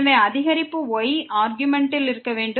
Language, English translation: Tamil, So, the increment has to be in argument